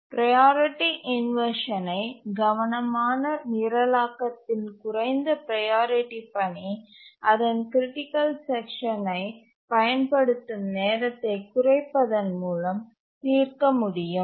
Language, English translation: Tamil, Priority inversion as it is can be solved by careful programming by reducing the time for which a low priority task uses its critical section